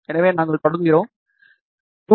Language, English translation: Tamil, So, we start with 2